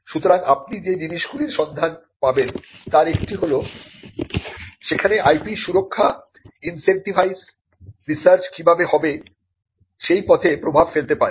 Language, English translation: Bengali, So, one of the things you will find is that by incentivizing IP protection there it could influence the way in which research is conducted